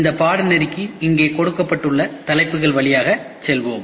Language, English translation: Tamil, This course we will go through the topics given here